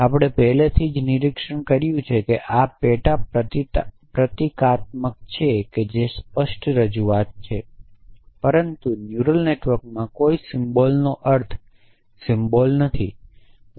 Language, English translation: Gujarati, And we had already observed that these are sub symbolic they are representation they are explicit representations, but a symbol does not stand for something in a neural networks a symbol meaning